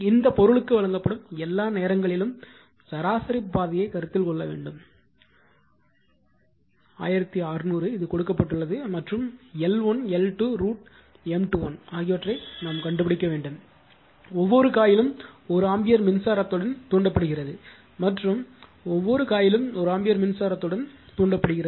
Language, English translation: Tamil, And you have to you have to consider the your mean path all the time in mu r for this one is given for this material is 1600 right it is given and you have to find out L 1, L 2, M 1 2 M 2 1 each coil is excited with 1 ampere current and each coil is excited with 1 ampere current will only considered for this one